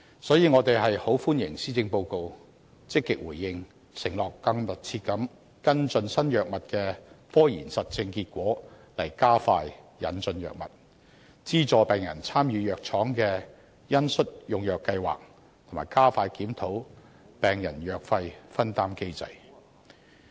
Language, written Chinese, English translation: Cantonese, 所以，我們很歡迎政府在施政報告中積極回應這些訴求，承諾更密切跟進新藥物的科研實證結果，從而加快引進藥物，資助病人參與藥廠的恩恤用藥計劃，以及加快檢討病人藥費分擔機制。, Therefore we welcome the Governments positive responses to such aspirations in the Policy Address that undertake to closely follow up on the empirical results of scientific research of new drugs so as to expedite the introduction of drugs subsidize patients to participate in compassionate programmes on the use of drugs of pharmaceutical companies and expedite the review of the patients co - payment mechanism